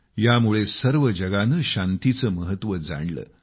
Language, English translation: Marathi, This made the whole world realize and understand the importance of peace